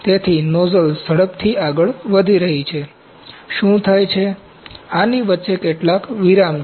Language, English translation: Gujarati, So, nozzle is moving faster, what happens, This has some breaks in between ok